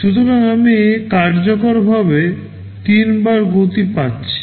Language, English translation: Bengali, So, I am getting a 3 times speed up effectively